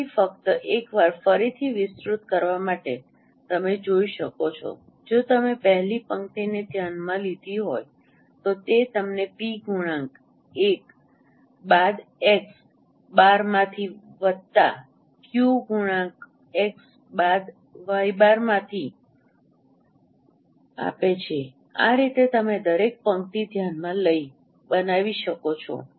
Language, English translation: Gujarati, So, just to elaborate once again, you can see that if you consider the first row, it is giving you p into x1 minus x bar plus q into y 1 minus y bar and in this way you consider each row is formed so the last row is p xn minus x bar plus q y n minus y bar